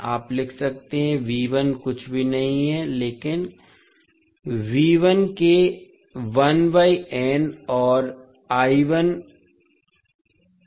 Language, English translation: Hindi, You can write V1 is nothing but 1 by n of V2 and I1 is minus n of I2